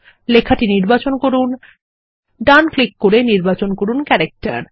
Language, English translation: Bengali, Select the text and right click then select Character